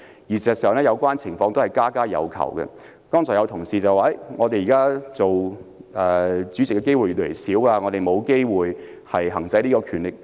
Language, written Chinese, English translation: Cantonese, 其實這個情況是家家有求，剛才有同事表示，他們現時擔任主席的機會越來越少，沒有機會行使這項權力。, Indeed some Members have more at stake in this situation than others . A colleague lamented just now that they have few opportunities to exercise such a power for the opportunities for them to chair meetings these day are becoming scare